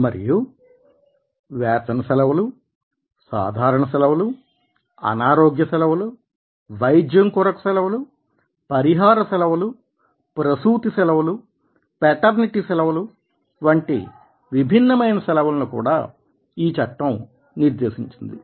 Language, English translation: Telugu, and different leaves are also prescribed, like earned leave, casual leave, sick leave, compensatory leave, medical leave, maternity leave, maternity leave and benefits, paternity leave, etcetera